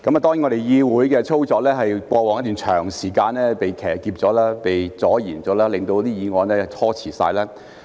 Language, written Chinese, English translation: Cantonese, 當然，議會的操作在過往一段長時間被騎劫、被阻延，令議案被拖遲。, Of course the operation of this Council had been hijacked and delayed for a long time thus causing this motion to be put off